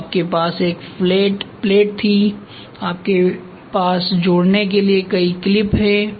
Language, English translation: Hindi, So, you had a flat plate then you have so many clips to fasten